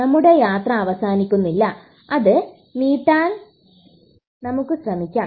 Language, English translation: Malayalam, Our journey does not have to come to an end we can actually try to prolong it